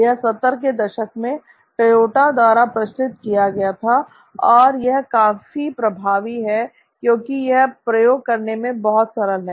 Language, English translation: Hindi, This is popularized by Toyota in the 70s almost and it's quite effective because it's so simple to use